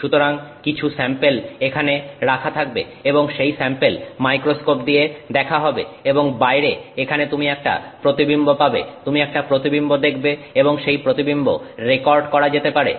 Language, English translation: Bengali, So, some sample will sit here and that sample will be seen through the microscope and you will have an image here outside the you will see an image and that image can be recorded